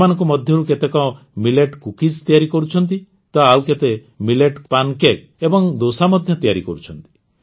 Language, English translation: Odia, Some of these are making Millet Cookies, while some are also making Millet Pancakes and Dosa